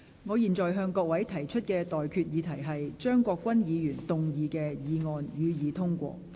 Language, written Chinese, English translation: Cantonese, 我現在向各位提出的待議議題是：張國鈞議員動議的議案，予以通過。, I now propose the question to you and that is That the motion moved by Mr CHEUNG Kwok - kwan be passed